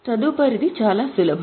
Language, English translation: Telugu, Next one is pretty simple